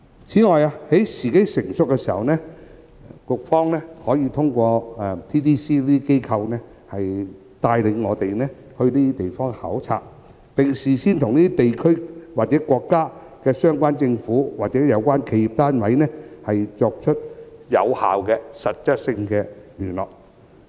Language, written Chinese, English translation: Cantonese, 此外，在時機成熟時，當局可透過 TDC 等機構帶領我們到這些地區考察，並事先與這些地區和國家的相關政府或企業單位進行有效的實質溝通。, Moreover when the time is ripe the authorities can take the lead to organize inspection visits to these places through the Hong Kong Trade Development Council HKTDC before which the authorities should engage in effective and substantive communication with the relevant governments or enterprises of these regions and countries